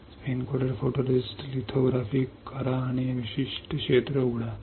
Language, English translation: Marathi, Spin coat photoresist, do lithography and open this particular area